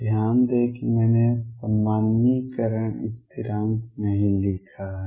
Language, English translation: Hindi, Notice that I have not written the normalization constant